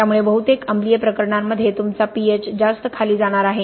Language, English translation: Marathi, So in most acidic cases obviously your pH’s are going to be dropping much further